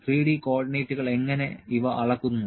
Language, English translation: Malayalam, 3D coordinates how these are measured